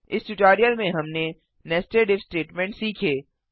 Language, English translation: Hindi, In this tutorial we learnt, nested if statement